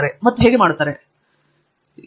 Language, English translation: Kannada, And how can how is it